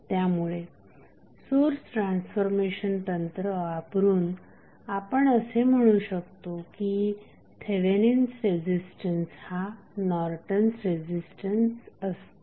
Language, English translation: Marathi, So, using this source transformation technique you can say that Thevenin resistance is nothing but Norton's resistance